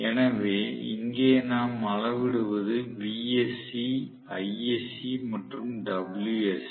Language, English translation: Tamil, So, what we measure here vsc, isc and wsc